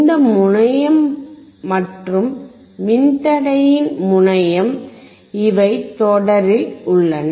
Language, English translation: Tamil, This terminal and this terminal of the resistor, these are in series